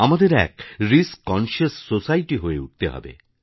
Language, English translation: Bengali, We'll have to turn ourselves into a risk conscious society